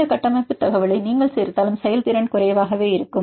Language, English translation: Tamil, Even if you add this structure information the performance is only limited